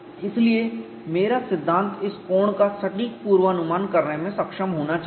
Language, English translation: Hindi, So, my theory should be able to predict this angle precisely